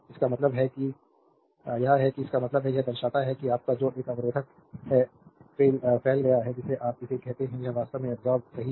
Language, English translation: Hindi, That means, it is that means, it show that your what power dissipated in a resistor your what you call it is actually it is a absorbed power, right